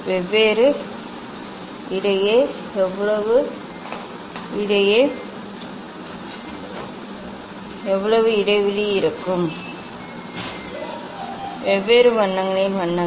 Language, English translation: Tamil, And how much the spacing will be between different colours among different colours